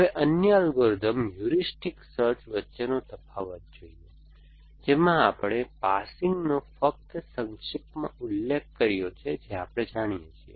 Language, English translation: Gujarati, Now, the difference between the other algorithms heuristic search, we just briefly mentioned in the passing that we know